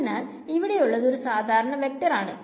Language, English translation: Malayalam, It is going to be a vector right